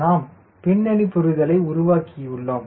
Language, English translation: Tamil, we have developed the background understanding